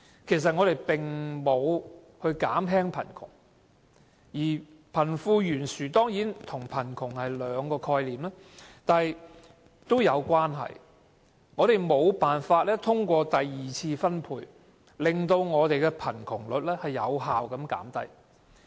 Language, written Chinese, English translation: Cantonese, 貧富懸殊與貧窮固然是兩種不同的概念，但卻互有關連，只是我們無法通過第二次財富分配，令貧窮率有效減低。, While wealth disparity and poverty are two different concepts they are somehow interrelated . And yet we have failed to effectively bring down the rate of poverty through wealth redistribution